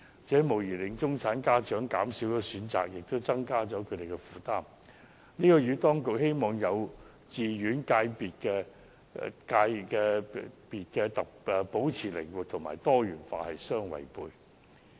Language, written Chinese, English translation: Cantonese, 這無疑令中產家長的選擇減少，加重他們的負擔，這與當局希望幼稚園界別保持靈活和多元化的目標背道而馳。, This will inevitably reduce the choice for middle - class parents and increase their burdens which is against the Administrations expectation that the kindergarten sector will remain flexible and diversified